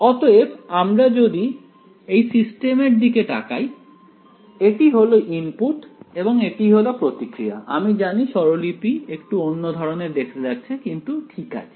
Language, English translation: Bengali, So, if I look at this system, so, this is the input and this is the response, I know that the notation looks a little different ok, but its